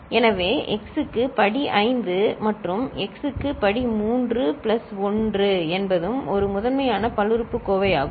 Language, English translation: Tamil, So, x to the power 5 plus x to the power 3 plus 1 is also a primitive polynomial